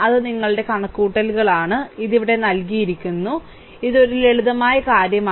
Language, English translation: Malayalam, So, that is calculations your; it given here right, so this is a simple things